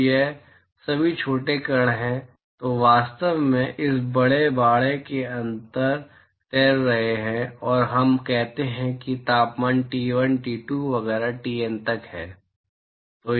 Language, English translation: Hindi, So, these are all minuscule particles which are actually floating inside this large enclosure and let us say that the temperatures are T1, T2 etcetera up to TN